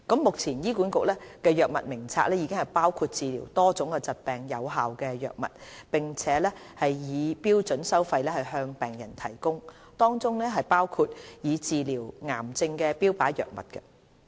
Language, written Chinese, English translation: Cantonese, 目前，醫管局藥物名冊已包括治療多種疾病的有效藥物，並以標準收費向病人提供，當中包括用以治療癌症的標靶藥物。, Currently HA Drug Formulary includes effective drugs for the treatment of various diseases . These drugs including targeted therapy drugs for treating cancer are provided for patients at standard fees and charges